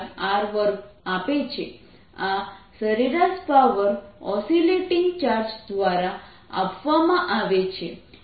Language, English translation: Gujarati, this is the average power that is given out by oscillating charge